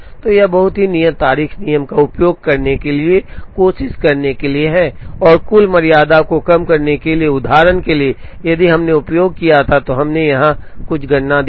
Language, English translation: Hindi, So, it is very customary to use the earliest due date rule to try and minimize the total tardiness, for example if we had used, we showed some calculation here